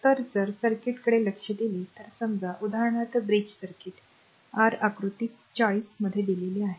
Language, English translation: Marathi, So, if you look at the circuit suppose for example, a bridge circuit is given in a your figure 40